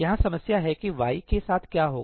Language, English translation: Hindi, Here is the problem that will happen with y